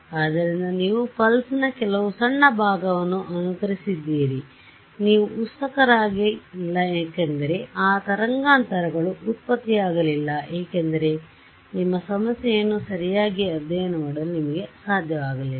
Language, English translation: Kannada, So, you just simulated some very small part of the pulse and you have not excited because those frequencies were not generated you have not actually been not able to study your problem properly right